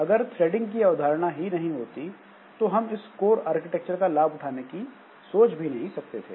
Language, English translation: Hindi, But if this threading concept was not there, then we cannot think about exploiting this core architecture